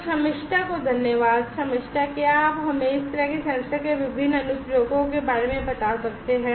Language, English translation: Hindi, So, thank you Shamistha, so Shamistha could you tell us now about the different applications of these kind of sensors